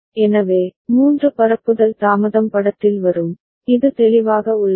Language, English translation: Tamil, So, three propagation delay will come into picture, is it clear